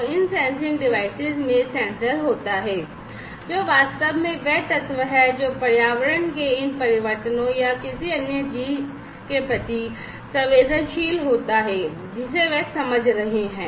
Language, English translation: Hindi, So, these sensing devices have the sensor, which will which is actually the element, which is sensitive to these changes of environment or any other thing, that they are supposed to sense